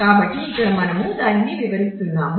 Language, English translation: Telugu, So, here all that we are explaining that